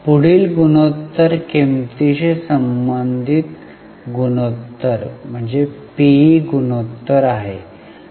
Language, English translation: Marathi, The next ratios are price related ratios, PE ratio